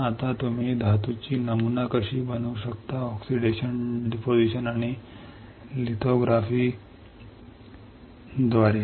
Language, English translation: Marathi, Now, how you can pattern the metal; by oxidation, deposition and lithography